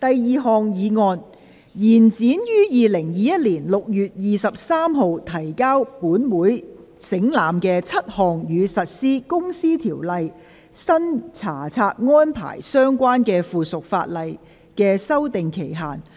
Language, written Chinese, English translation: Cantonese, 第二項議案：延展於2021年6月23日提交本會省覽的7項與實施《公司條例》新查冊安排相關的附屬法例的修訂期限。, Second motion To extend the period for amending seven items of subsidiary legislation relating to the implementation of the new inspection regime of the Companies Register under the Companies Ordinance which were laid on the Table of this Council on 23 June 2021